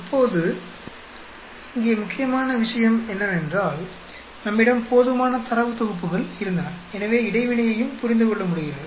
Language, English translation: Tamil, Now, the important point here is we had enough data sets, so we are able to understand interaction also